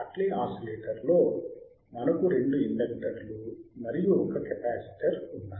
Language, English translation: Telugu, Because iIn Hartley oscillator we have two inductors; and one capacitor